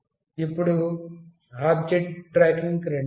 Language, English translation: Telugu, Now, let me come to object tracking